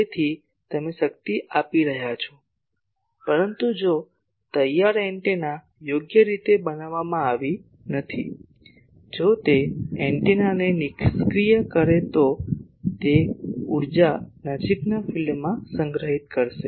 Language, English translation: Gujarati, So, you are giving power, but if ready antenna is not properly designed, if it is inefficient the antenna it will store that energy in the near field